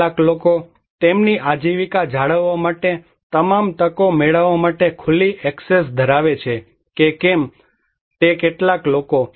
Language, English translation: Gujarati, Some people whether the people have open access to get all the opportunities to maintain their livelihood or not